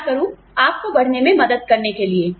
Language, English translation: Hindi, What can I do, to help you grow